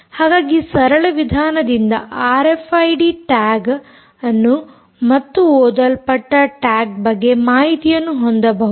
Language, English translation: Kannada, so this is a simple way by which you can have r f i d tags and information about the tag being read